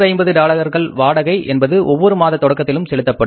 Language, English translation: Tamil, Rent of $250 is paid at the beginning of each month